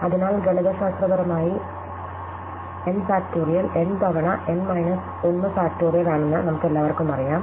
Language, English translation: Malayalam, So, we all know that mathematically n factorial is n times n minus 1 factorial